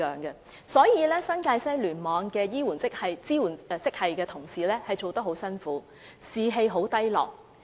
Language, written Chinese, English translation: Cantonese, 因此，新界西醫院聯網支援職系的同事工作得很辛苦，士氣十分低落。, So the support staff in the New Territories West Cluster are having a hard time at work with very low morale